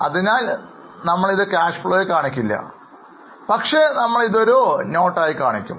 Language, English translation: Malayalam, So, it is not coming in the cash flow statement, it will be shown as a note or as a footnote